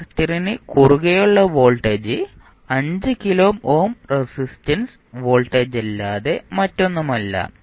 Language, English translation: Malayalam, The voltage across capacitor is nothing but voltage across the 5 kilo ohm resistance